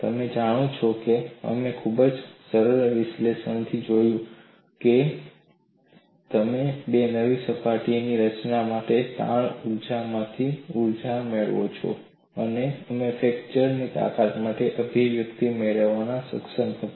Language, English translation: Gujarati, Now, we have looked at from very simplistic analysis that, you had got a energy from strain energy for the formation of two new surfaces, and we were able to get the expression for fracture strength